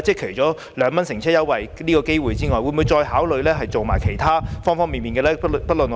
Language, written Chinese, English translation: Cantonese, 除2元乘車優惠外，政府會否考慮再推行各方面的措施呢？, Apart from the 2 fare concession will the Government consider the idea of introducing further measures in various respects?